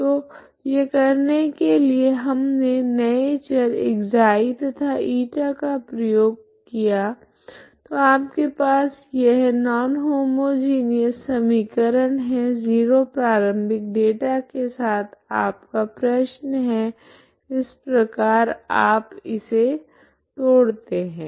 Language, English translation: Hindi, So to do this what we made use of this new variables ξ and η, So what you have is this non homogeneous equation with zero initial data is actually your problem that is how you decomposed